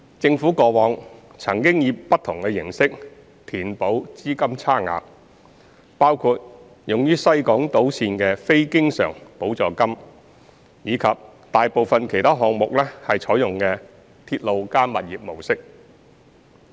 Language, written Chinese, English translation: Cantonese, 政府過往曾以不同形式填補資金差額，包括用於西港島綫的非經常補助金及大部分其他項目採用的"鐵路加物業"模式。, The Government had adopted different methods to bridge the funding gap in the past including capital grant for the West Island Line and the Railway - plus - Property RP model adopted in most other projects